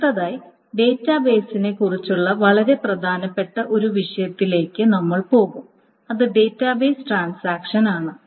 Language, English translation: Malayalam, Next we will move on to one very important topic about databases which are the database transactions